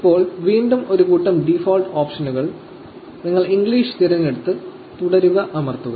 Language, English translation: Malayalam, Now, again a bunch of default options, you say English and you press continue